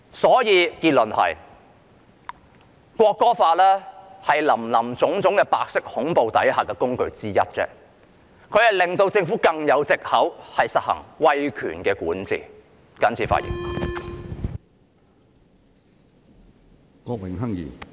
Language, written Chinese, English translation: Cantonese, 所以，結論就是，《條例草案》是白色恐怖下的工具之一，讓政府有更多藉口實行威權管治。, Hence the conclusion is that the Bill is one of the tools for giving more excuses for the Government to implement authoritarian governance